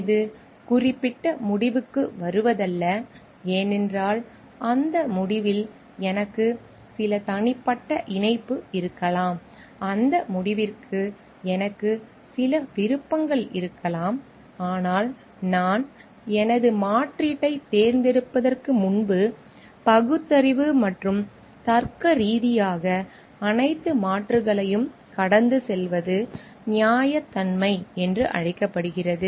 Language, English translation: Tamil, It is not just jumping into particular conclusion because I may have some personal attachment to that conclusion, I may have some preferences for that conclusion, but rationally and logically going through all the alternatives before I choose my alternative is called fairness